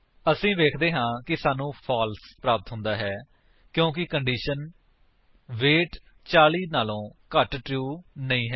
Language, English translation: Punjabi, We see that we get a false because the condition weight less than 40 is not true